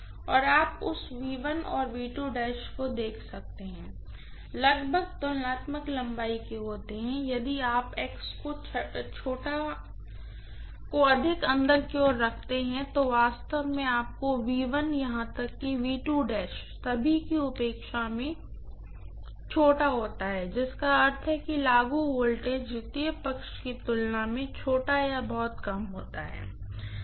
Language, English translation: Hindi, And you can see that V1 and V2 dash are almost of comparable length, infact if you had x to be more inwards then actually your V1 would have been smaller in all probability than even V2 dash which means the applied voltage happens to be smaller or slightly less as compared to what you get on the secondary side